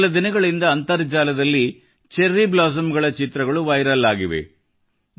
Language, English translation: Kannada, For the past few days Internet is full of viral pictures of Cherry Blossoms